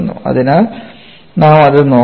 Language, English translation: Malayalam, So, we have to look that